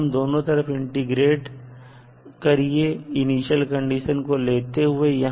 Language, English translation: Hindi, You have to integrate at both sides and use the initial condition